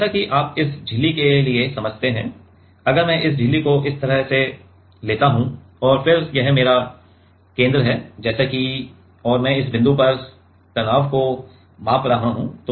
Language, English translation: Hindi, So, as you understand for this membrane if I take this membrane like this and then this is my center let us say and I am measuring the stress at this point